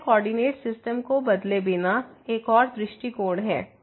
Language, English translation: Hindi, So, this is another approach without changing to the coordinate system